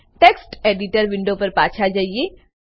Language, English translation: Gujarati, Now switch back to the Text Editor window